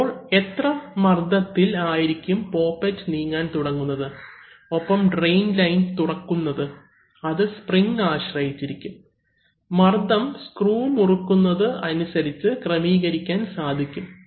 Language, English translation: Malayalam, And at what pressure this poppet will start moving and will open the line to the drain, that depends on the spring and this, and this pressure can be adjusted by tightening this screw